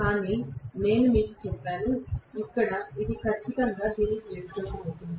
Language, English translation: Telugu, But I told you that here it is going to be exactly vice versa